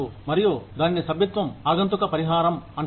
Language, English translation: Telugu, And, that is called membership contingent compensation